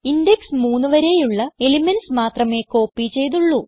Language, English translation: Malayalam, Only the elements till index 3 have been copied